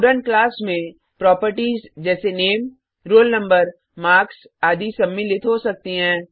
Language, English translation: Hindi, A Student class can contain properties like Name, Roll Number, Marks etc